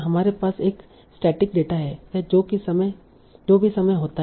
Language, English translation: Hindi, So we have a static data over whatever time it dispense